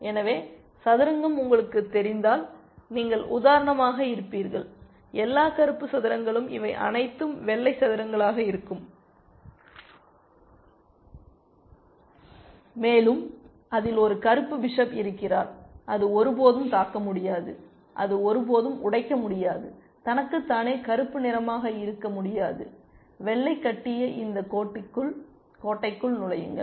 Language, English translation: Tamil, So, if you know chess you will see that you will be for example, all black squares and these will be all white squares, and it has a black bishop, it can never attack, it can never break, left to itself black can never break into this fortress that white has constructed